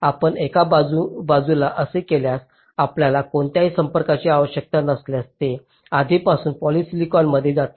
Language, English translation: Marathi, if you do that, so on one side you do not need any contact, it is already in polysilicon